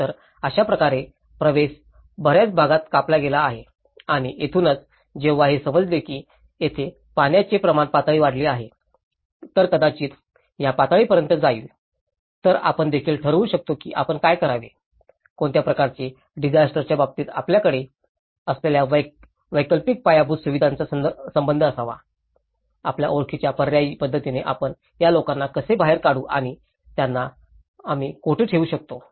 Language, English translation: Marathi, So, in that way, the access has been cutted out in many areas and this is where, once we know that these are inundation levels here, this might go up to this level, so we can even plan that whether we should, what kind of alternate infrastructure connectivity we should have in terms of disaster, how we can evacuate this people through an alternative approach you know, and where can we put them